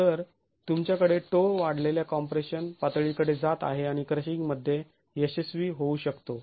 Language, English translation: Marathi, So, you have toe going towards increased compression levels and can fail in crushing